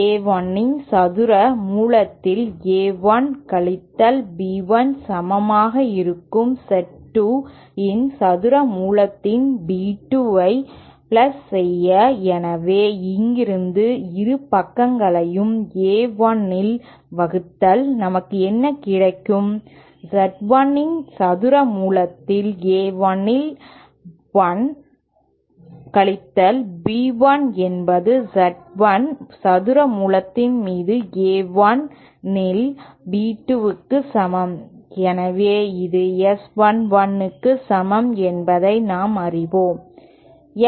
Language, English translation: Tamil, As A 1 minus B 1 upon square root of Z 1 is equal to plus B2 upon square root of Z 2 so from here if we divide both sides by A 1 then what we get is 1 minus B 1 upon A 1 upon square root of Z 1 is equal to B 2 upon A 1 upon square root of Z 2, so we know that this is equal to S 1 1